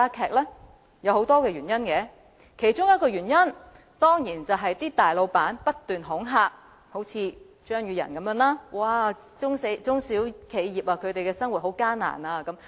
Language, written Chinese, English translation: Cantonese, 當中有很多原因，而其中一個當然是大老闆不斷恐嚇，一如張宇人議員般，常說中小企業經營十分艱難。, There are many reasons yet one of them is definitely the continued intimidation made by major employers like Mr Tommy CHEUNG that small and medium enterprises face difficulties in their operation